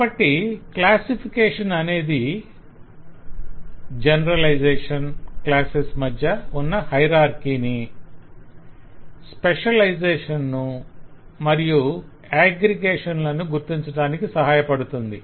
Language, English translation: Telugu, so classification will help to identify generalization, specialization and aggregation amongst the hierarchies, amongst the classes